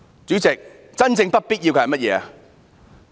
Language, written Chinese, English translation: Cantonese, 主席，真正不必要的是甚麼？, President what do you think is truly unnecessary?